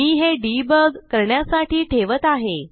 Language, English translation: Marathi, I put them for debugging